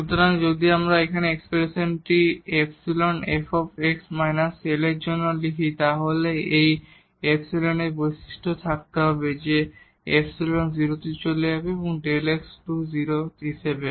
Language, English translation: Bengali, So, if we write down this expression here for epsilon as f x minus L then this epsilon must have this property that epsilon will go to 0 as delta x goes to 0